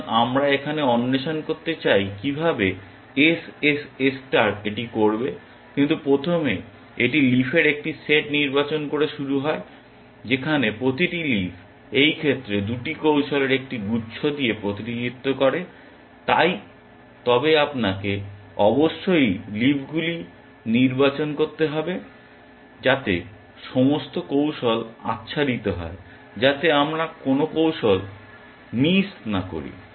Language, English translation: Bengali, So, we want to now explore how SSS star will do it, but first it starts off by selecting a set of leaves where each leaf represents a cluster of 2 strategies in this case, but you must select the leaves so, that all strategies are covered